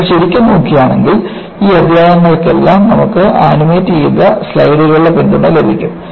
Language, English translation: Malayalam, And, if you really look at, for all of these chapters, you will have support of animated slides